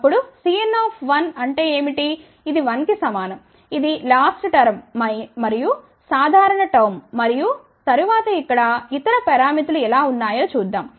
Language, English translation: Telugu, Then, what is C n 1, which is equal to 1 which is corresponding to a general time again the last term and then let us see how are the other parameters here